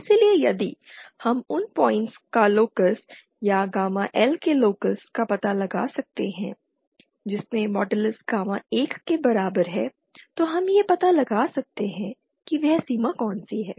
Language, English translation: Hindi, So if we can find out the locus of those points, or locus of gamma L which modulus gamma in is equal to 1, then we find out which is that boundary